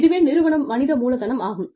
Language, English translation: Tamil, So, that is the organizational human capital